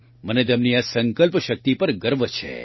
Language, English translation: Gujarati, I am proud of the strength of her resolve